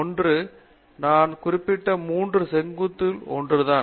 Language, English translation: Tamil, One is the even within the 3 verticals that I mentioned earlier